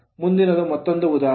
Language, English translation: Kannada, Next is an example